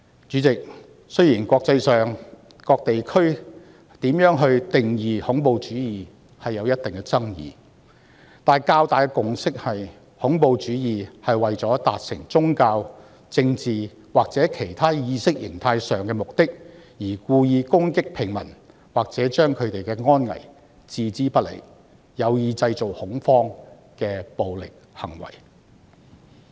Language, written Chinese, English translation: Cantonese, 主席，雖然國際間不同地區對如何定義恐怖主義均有一定的爭議，但較大的共識是，恐怖主義是為了達成宗教、政治或其他意識形態上的目的而故意攻擊平民，或把他們的安危置之不理，有意製造恐慌的暴力行為。, Chairman while there are controversies over the definition of terrorism in different parts of the world the general consensus is that terrorism is the use of violent acts to achieve certain religious political or other ideological purposes by deliberately attacking ordinary citizens or ignoring their safety with the intention of creating panic